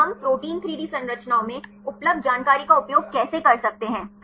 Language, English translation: Hindi, And how can we use the information available in protein 3D structures